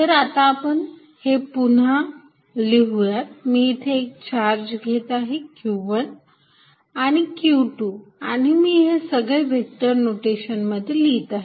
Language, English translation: Marathi, So, let us repeat this I am going to take two charges q 1 and q 2 and write everything in vector notation